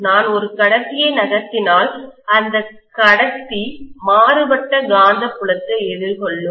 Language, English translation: Tamil, If I move a conductor, the conductor will face varying magnetic field